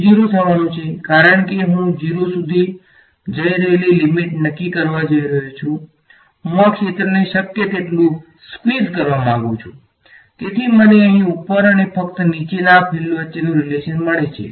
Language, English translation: Gujarati, It is going to go to 0, because I am going to set the take the limit that delta y is going to 0 I want to squeeze this field as much as possible so I get a relation between the fields here just above and just below